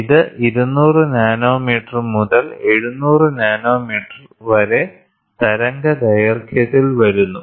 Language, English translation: Malayalam, It falls in the wavelength of 200 nanometre to 700 nanometre